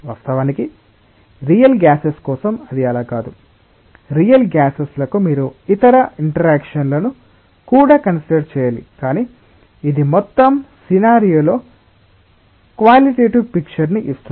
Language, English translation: Telugu, Of course, for real gases it is not so, simple for real gases you also have to consider other interactions, but this just gives the qualitative picture of the entire scenario